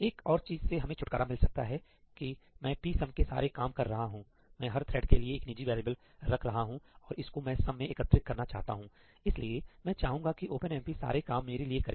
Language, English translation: Hindi, Another thing that we can get rid of – so, I was doing all this psum business, right I was maintaining a private variable psum for every thread and actually I wanted to accumulate it in sum I can actually ask OpenMP to do all this for me